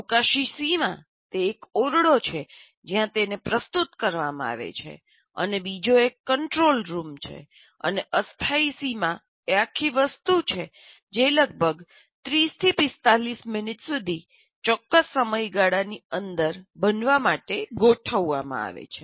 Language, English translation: Gujarati, Spatial boundary is the room where it's being presented and the other one is a control room where that is a spatial boundary and temporal boundary is the whole thing is organized to happen within a certain time period